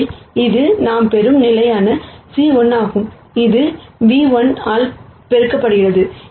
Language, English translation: Tamil, So, this is constant c 1 that we get, and this is multiplied by nu 1